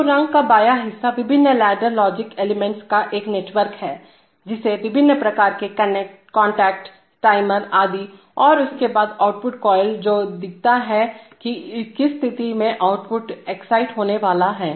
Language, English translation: Hindi, So, the left part of the rung is a network of the various ladder logic elements like various kinds of contacts, timers etc, and followed by an output coil which shows, under what condition that output is going to be excited